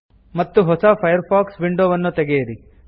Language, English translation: Kannada, And open a new Firefox window